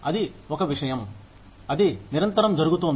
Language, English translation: Telugu, That is one thing, that is constantly happening